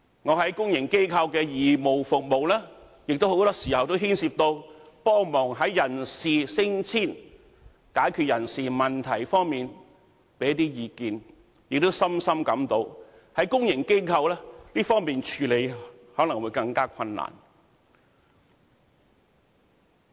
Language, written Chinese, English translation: Cantonese, 我在公營機構的義務服務，很多時候亦牽涉協助人事升遷、在解決人事問題方面提供意見，亦深深感到公營機構在這方面的處理可能會更困難。, Very often my voluntary service in the public sector also involves personnel matters such as promotion and transfer . As to providing advice to deal with personnel matters I have a deep feeling that it is much more difficult to deal with these matters in the public sector